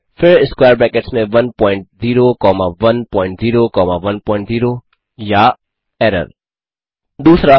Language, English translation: Hindi, then square brackets 1 point 0 comma 1 point 0 comma 1 point 0 Error 2